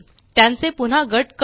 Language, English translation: Marathi, Lets group them again